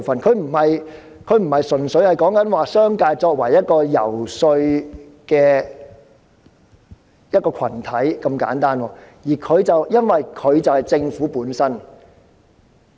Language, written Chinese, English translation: Cantonese, 這已不是純粹視商界為一個遊說群體這麼簡單，因為這核心就是政府本身。, The business sector is not merely regarded as the subject group to be lobbied as this core is the Government per se